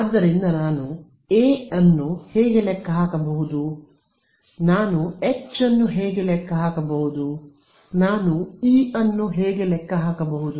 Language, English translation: Kannada, So, how can I calculate A, how can I calculate H, how can I calculate E